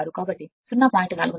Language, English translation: Telugu, 16, so 0